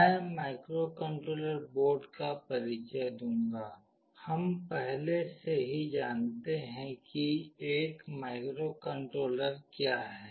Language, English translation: Hindi, I will introduce microcontroller boards, we already know what a microcontroller is